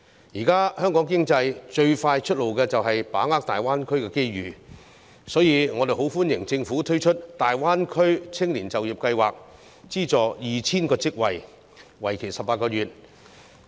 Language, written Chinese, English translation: Cantonese, 現時，香港經濟最快的出路就是把握大灣區的機遇，所以我們很歡迎政府推出大灣區青年就業計劃，資助 2,000 個職位，為期18個月。, Nowadays the fastest way out for the Hong Kong economy is to grasp the opportunities in the Greater Bay Area . We therefore welcome the introduction by the Government of the Greater Bay Area Youth Employment Scheme which subsidizes the provision of 2 000 jobs for 18 months